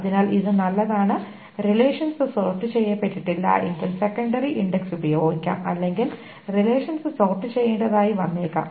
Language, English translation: Malayalam, And if the relations are not sorted, then the secondary index can be used or the relations may be need to be sorted